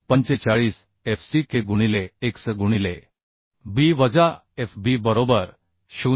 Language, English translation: Marathi, 45 fck into x into B minus Fb right 0